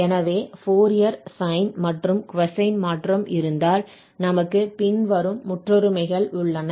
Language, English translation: Tamil, So, if we have the Fourier sine and cosine transform, we have the following identities